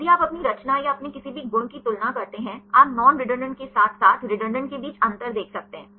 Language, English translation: Hindi, If you compare your composition or your any properties; you can see the difference between the non redundant ones as well as redundant ones